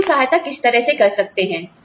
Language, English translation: Hindi, How can we help